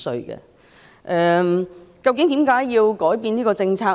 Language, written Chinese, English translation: Cantonese, 為甚麼政府要改變這政策呢？, Why does the Government have to change this policy?